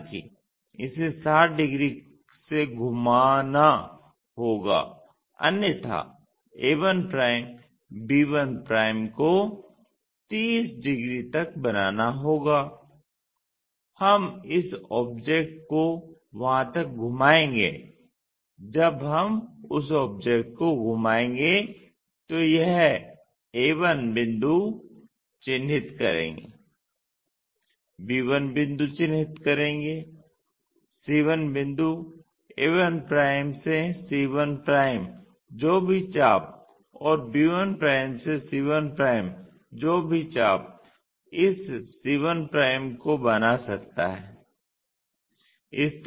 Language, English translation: Hindi, However, this has to be turned around by 60 degrees otherwise a 1', b 1' has to make 30 degrees up to that we will rotate this object, when we rotate that object this a 1 point map to that, b 1 point map to that, c 1 point a 1 to c 1 whatever the arc b 1' to c 1' whatever the arc can construct this c 1'